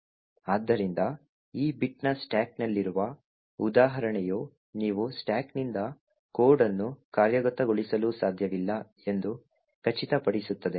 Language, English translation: Kannada, So, therefore the example in the stack this particular bit would ensure that you cannot execute code from the stack